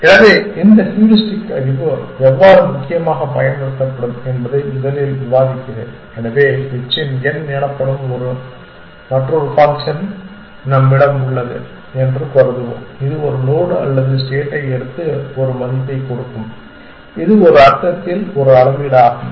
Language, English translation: Tamil, So, let me first discus how this heuristic knowledge would be used essentially, so we will assume that we have another function called h of n which will take a node or a state and give a value which is a measure in some sense